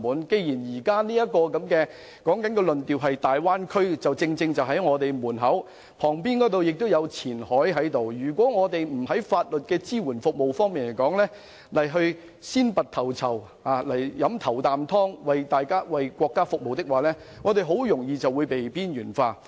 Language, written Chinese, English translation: Cantonese, 既然現時的焦點集中在大灣區，我們旁邊有深圳前海，如我們不在法律支援服務方面先拔頭籌，為國家服務，很容易便會被邊緣化。, Given that all eyes are now on the Bay Area and thanks to our proximity to Shenzhens Qianhai if we do not strive to become the first mover in providing legal support services for the country it is highly likely that we will be marginalized